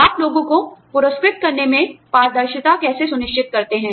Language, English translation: Hindi, How do you ensure transparency, in rewarding people